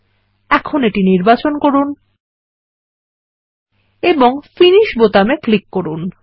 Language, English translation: Bengali, So now, let us select it and click on the Finish button